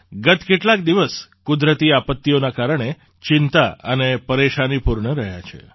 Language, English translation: Gujarati, The past few days have been full of anxiety and hardships on account of natural calamities